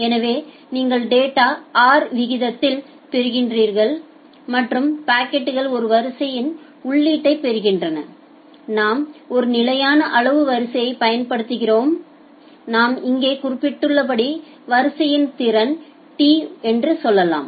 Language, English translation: Tamil, So, you are getting data at some rate say capital R and packets are getting input in a queue and we are using a constant size queue, say the capacity of the queue as we have mentioned here is tau